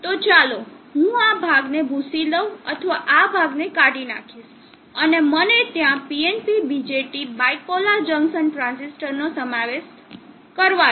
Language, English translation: Gujarati, So let me erase this portion or remove this portion and let me include PNP BJT there bipolar junction transistor